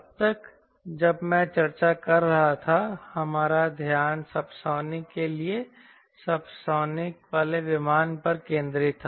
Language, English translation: Hindi, so far, when i was discussing, our attention was focused to subsonic flow aircraft for subsonic regime